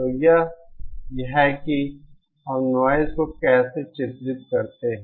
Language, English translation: Hindi, So that is how we characterise noise